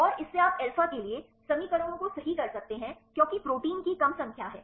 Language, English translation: Hindi, And from that you can derive equations right for alpha because less number of proteins